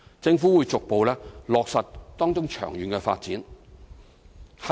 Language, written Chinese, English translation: Cantonese, 政府會逐步落實當中的長遠發展。, The Government will progressively implement the long - term development therein